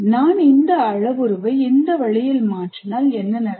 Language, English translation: Tamil, If I change this parameter this way, what happens